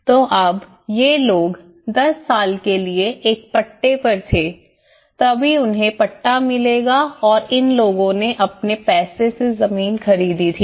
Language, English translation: Hindi, So now, these people were on a lease for 10 years only then they will get the pattas and these people who bought the land with their own money